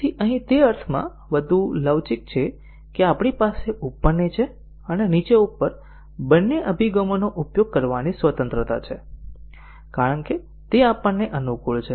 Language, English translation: Gujarati, So, here it is more flexible in the sense that we have the liberty to use both top down and bottom up approaches as it suites us